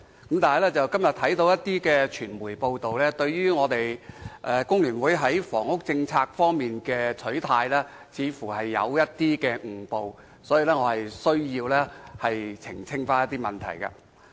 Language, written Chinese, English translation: Cantonese, 可是，我今天看到某些傳媒報道工聯會在房屋政策的取態，似乎出現誤會，我因而需要澄清一些問題。, However upon reading some press reports today which have seemingly mistaken the policy position of FTU I now have to make clarification over certain issues